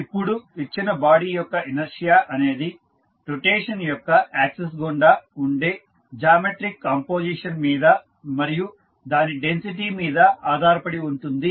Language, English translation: Telugu, Now, the inertia of a given body depends on the geometric composition about the axis of rotation and its density